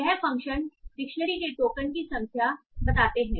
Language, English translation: Hindi, So, this functions written the dictionary of tokens with their counts